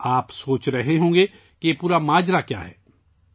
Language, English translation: Urdu, You must be wondering what the entire matter is